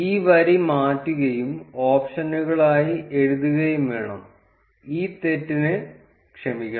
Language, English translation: Malayalam, We need to change this line and write it as options, sorry for this mistake